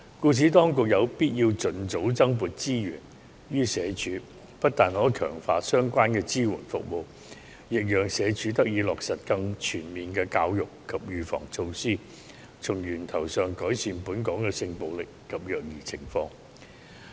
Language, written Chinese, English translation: Cantonese, 故此，當局有必要盡早增撥資源予社署，不但可強化相關的支援服務，亦讓社署得以落實更全面的教育及預防措施，從源頭上改善本港的性暴力及虐兒情況。, For that reason additional resources must be allocated to SWD as soon as possible . This will not only help SWD enhance the supporting services but also allow the department to implement more comprehensive education and precautionary measures thereby improving the sexual violence and child abuse from the source